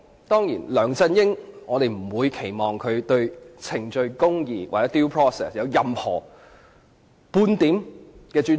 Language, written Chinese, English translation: Cantonese, 當然，我們不會期望梁振英對程序公義或 "due process" 有任何或半點尊重。, We certainly do not expect LEUNG Chun - ying to have any or the slightest respect for procedural fairness or due process